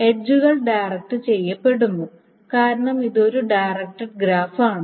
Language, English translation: Malayalam, Note that the edges are directed because it's a directed graph